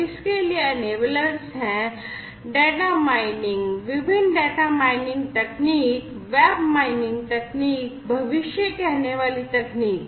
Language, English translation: Hindi, The enablers for it are data mining different data mining techniques, web mining techniques, and predictive techniques